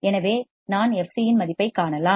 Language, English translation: Tamil, So, I can find the value of fc